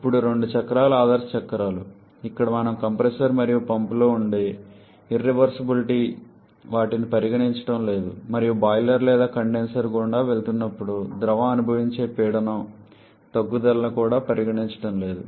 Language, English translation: Telugu, Now both the cycles are ideal cycles that is where we are not considering the irreversibilities which can be present in the compressor and pump and also the pressure drop which the fluid may experience while passing through the boiler or the condenser